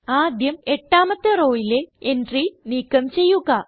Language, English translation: Malayalam, First, lets delete the entry in row number 8